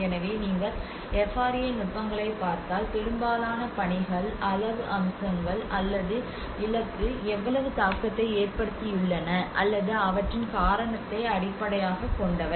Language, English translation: Tamil, So and if you look at FRA techniques much of the work has been mostly focused on the quantitative aspects or the target based on how much has been impacted or the cause of them